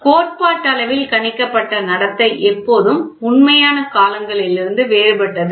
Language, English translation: Tamil, The theoretically predicted behaviour is always different from the real times